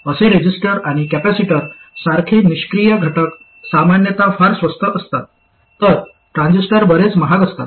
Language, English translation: Marathi, There, typically passive components like resistors and capacitors are very inexpensive, whereas transistors are a lot more expensive